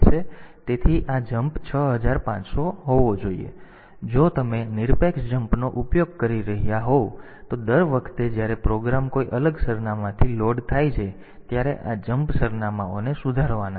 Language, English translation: Gujarati, So, this should be jump 6500; so, if you are using absolute jump then every time the program is loaded from a different address, this jump addresses they are to be corrected ok